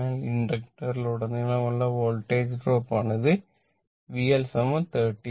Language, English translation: Malayalam, So, this is the Voltage drop across the inductor that is your V L is equal to 39